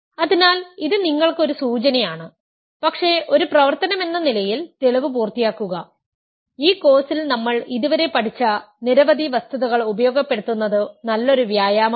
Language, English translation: Malayalam, So, I this is a hint for you, but finish the proof as an exercise, it is a good exercise to make use of several facts that we have so far learned in this course